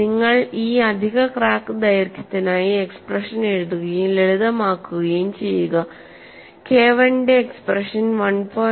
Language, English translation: Malayalam, So, when you write the expression for these additional crack length and simplify, the expression for K 1 changes to 1